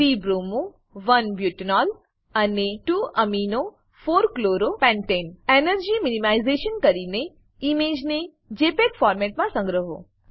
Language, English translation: Gujarati, * Create models of the following molecules.3 bromo 1 butanol and 2 amino 4 chloro pentane * Do energy minimization and save the image in JPEG format